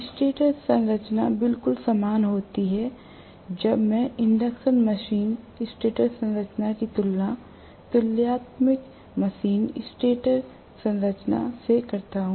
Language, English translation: Hindi, The stator structure is absolutely similar when I compare the induction machine stator structure with that of the synchronous machine stator structure, right